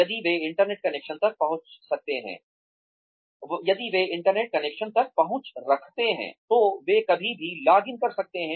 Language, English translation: Hindi, They can login wherever, if they have access to an internet connection